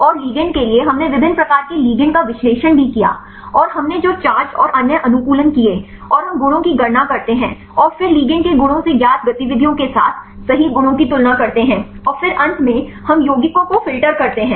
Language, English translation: Hindi, And for the ligand we also analyzed the different types of ligands and made the charges and other optimization we did, and the we calculate the properties and then from the properties of the ligands with known activities right we compare the properties right and then we finally, we filter the compounds